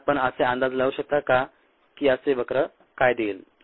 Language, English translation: Marathi, and can you guess what would give a curve like this